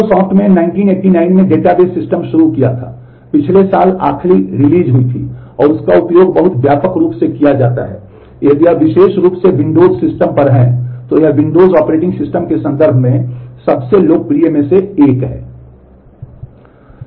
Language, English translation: Hindi, Microsoft the started database systems in 1989, last release happened last year and that is very widely used if you are particularly on windows system, it is one of the most popular one in terms of the windows operating system